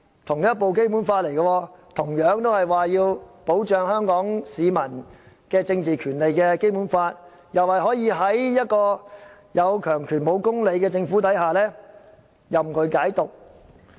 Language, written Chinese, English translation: Cantonese, 同一部《基本法》，當中同樣訂明香港市民的政治權利受到保障，但有關條文卻可以任由"有強權無公理"的政府任意解讀。, Their decisions were based on the same Basic Law which provides for the protection of Hong Kong peoples political rights . But as the Government has power it can defy justice and interpret the relevant provisions in whatever way it wants